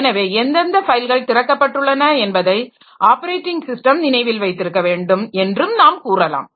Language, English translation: Tamil, So, in this way we can say that the corporate operating system must remember what is the what are the files that are open